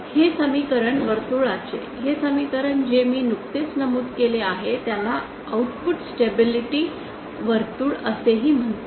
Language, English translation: Marathi, This the equation of this ,this equation of circle that is just mentioned is also known as the output stability circle